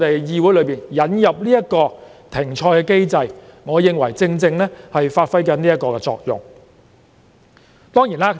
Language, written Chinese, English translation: Cantonese, 議會這次引入停賽機制，我認為正好發揮這作用。, I think the suspension mechanism to be introduced into the legislature this time can precisely fulfil this function